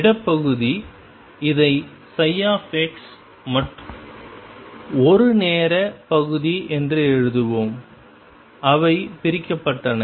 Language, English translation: Tamil, Space part, let us write this as psi x and a time part and they were separated